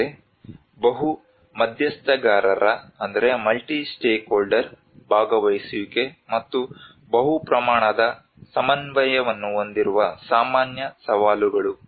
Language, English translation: Kannada, Whereas the common challenges which has a multi stakeholder participation and multi scale coordination